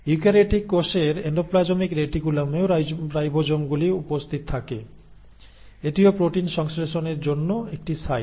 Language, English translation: Bengali, There are also ribosomes which are present on the endoplasmic reticulum in eukaryotic cells that is also a site for synthesis of proteins